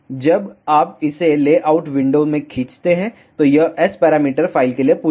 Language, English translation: Hindi, When you drag this into the layout window, it will ask for the S parameter file